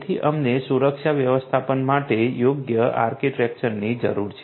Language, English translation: Gujarati, So, we need a suitable architecture for security management right